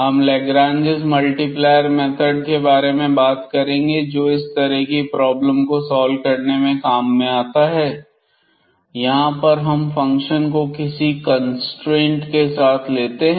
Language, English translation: Hindi, So, in particular we will be talking about the method of a Lagrange’s multiplier which is used to solve such problems, where we have along with the function some constraints